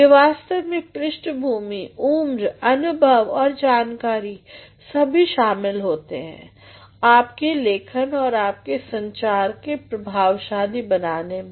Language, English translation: Hindi, It is actually the background, the age experience an exposure all that result into making your writing and making your communication effective